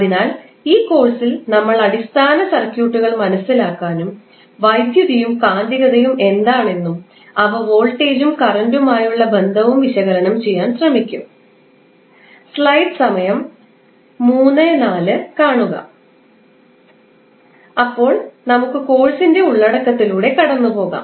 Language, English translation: Malayalam, So, in this particular course we will try to understand the basic circuits and try to analyse what is the phenomena like electricity and its magnetism and its relationship with voltage and current